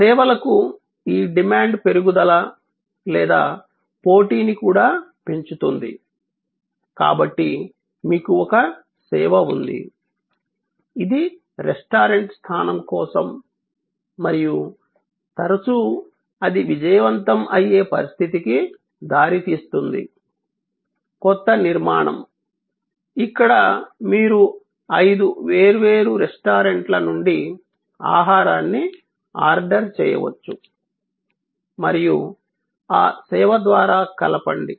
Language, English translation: Telugu, And this increase in demand for services or also increasing the competition, so you have a service, which is for restaurant location and often that leads to a situation where it that services successful, a new structure, where you can order food from five different restaurant and combine through that service